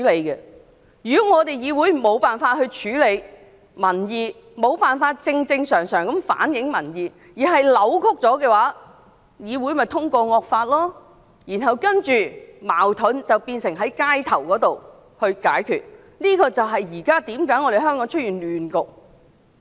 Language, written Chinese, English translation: Cantonese, 如果議會無法處理民意，無法正正常常地反映民意，反而是扭曲民意的話，這種議會便能通過惡法，然後將解決矛盾的問題帶到社區之中，這正是香港現在出現亂局的原因。, If a legislature cannot address public opinion cannot reflect public opinion normally but distort it instead such a legislature will pass draconian laws and bring problems of unresolved conflicts to the communities . That is exactly the cause of the current disturbances in Hong Kong